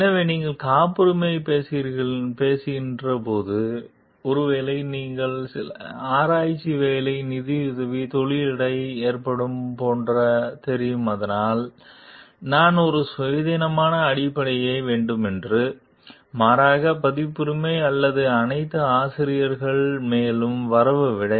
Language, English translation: Tamil, So, when you are talking of patent, the which is maybe an you know like the arrangement between the industry sponsoring some research work and so, that I have an independent criteria; rather than crediting the authors further for the copyrights or all